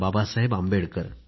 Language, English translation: Marathi, Baba Saheb Ambedkar